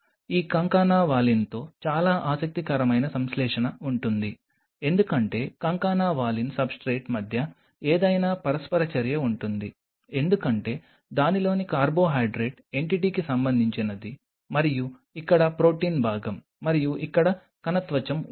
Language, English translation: Telugu, There will be a very interesting adhesion with this concana valine because there will be any interactions between the concana valin substrate belong with the carbohydrate entity of it and here is the protein part of it and of course, here is the cell membrane